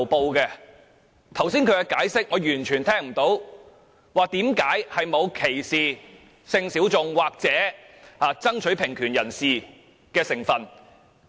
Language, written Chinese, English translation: Cantonese, 至於他剛才的解釋，我聽不到為何沒有歧視性小眾或爭取平權人士的成分。, Regarding the explanation given by him just now I cannot be convinced that there is no discrimination against sexual minorities or egalitarians therein